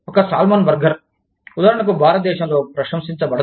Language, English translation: Telugu, A salmon burger, for example, may not be appreciated, in India